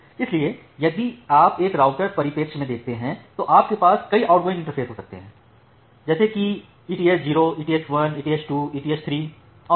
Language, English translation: Hindi, So, if you look into a router perspective you can have multiple outgoing interfaces, like eth 0, eth 1, eth 2, eth 3 and so on